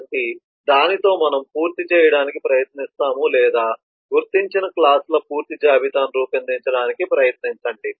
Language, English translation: Telugu, so with that we will try to complete the or try to make a complete list of the identified classes